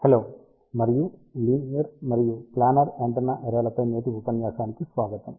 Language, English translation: Telugu, Hello and welcome to today's lecture on linear and Planar Antenna Arrays